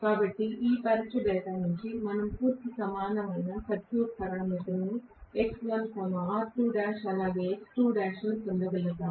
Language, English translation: Telugu, So, I think from this test data we should be able to get the complete equivalent circuit parameters namely x1, r2 dash as well as x2 dash